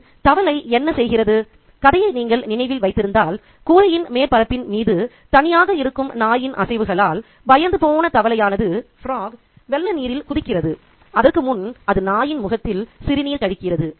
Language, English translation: Tamil, If you remember the story, the frog frightened by the movements of the dog that's left alone on the rooftop, jumps into the water, into the flood waters, but before that it urinates on the face of the dog